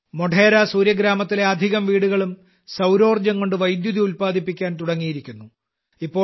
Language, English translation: Malayalam, Most of the houses in Modhera Surya Gram have started generating electricity from solar power